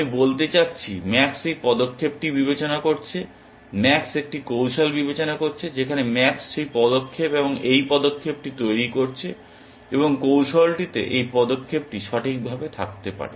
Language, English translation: Bengali, I mean max is considering this move, max is considering a strategy in which max is making that move and this move, and the strategy may have this move precisely